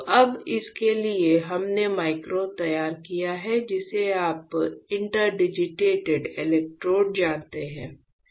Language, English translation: Hindi, So, now for this we have fabricated micro you know interdigitated electrodes